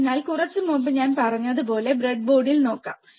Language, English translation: Malayalam, So, let us see on the breadboard like I said little bit while ago